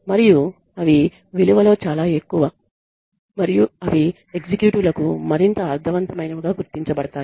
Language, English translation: Telugu, And they are much more in value and they are perceived to be much more meaningful for the executives